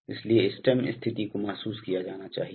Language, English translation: Hindi, So therefore, this much of stem position must be realized